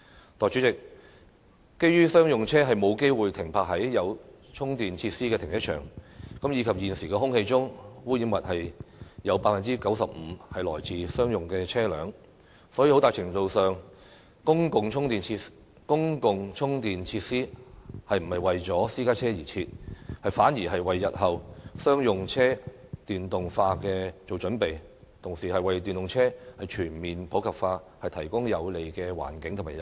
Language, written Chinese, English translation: Cantonese, 代理主席，基於商用車沒有機會停泊在有充電設施的停車場，以及現時有 95% 的空氣污染物是來自商用車，所以很大程度上，公共充電設施不是為私家車而設，反而是為日後商用車電動化做準備，同時為電動車全面普及化提供有利環境和誘因。, Deputy President since commercial vehicles do not have the opportunity to park in car parks with charging facilities and that 95 % of air pollutants come from commercial vehicles public charging facilities are to a large extent not for electric private cars but for paving the way for electrification of commercial vehicles as well as creating a favourable environment and an incentive for the popularization of EVs